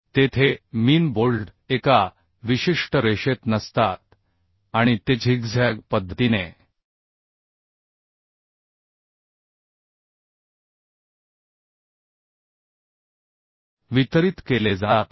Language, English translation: Marathi, there the bolts are not in a particular line, it is distributed in a zig zag manner